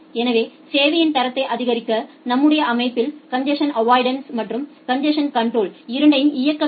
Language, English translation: Tamil, So, to support quality of service we need to run both congestion avoidance as well as congestion control in our system